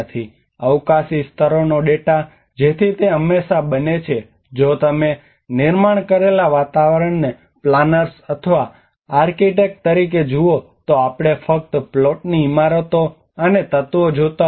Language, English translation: Gujarati, The spatial levels data so it is always if you look at the built environment we as a planners or architects we only look at the plots buildings and elements